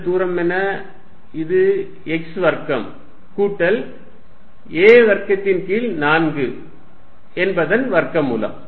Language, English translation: Tamil, What is this distance, this is x square plus a square by 4 square root